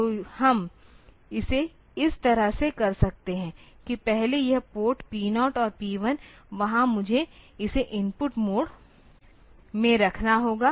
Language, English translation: Hindi, So, we can do it like this that first this port P 0 and P 1 there I have to put it in the input mode